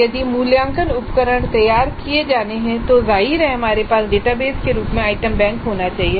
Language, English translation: Hindi, In an automated way if assessment instruments are to be generated then obviously we must have the item bank organized as some kind of a database